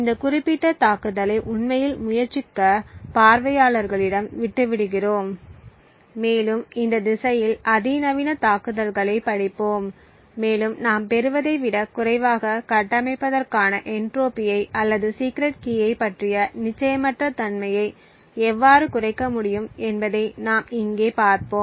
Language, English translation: Tamil, We leave it to the viewers to actually try this particular attack and also read the state of the art attacks in this direction and see how we could reduce the entropy or the uncertainty about the secret key to construct lesser than what we obtain over here